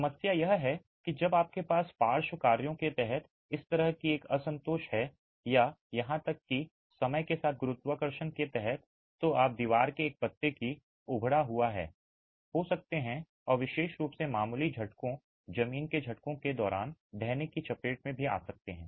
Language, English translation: Hindi, The problem is when you have this sort of a discontinuity under lateral actions or even under gravity over time you can have bulging of one leaf of the wall and vulnerability to collapse particularly when there is even slight shaking ground shaking